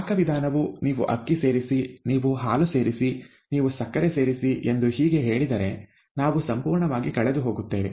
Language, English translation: Kannada, The, if the recipe says you add rice, you add milk, you add sugar, and so on and so forth, we will be completely lost, right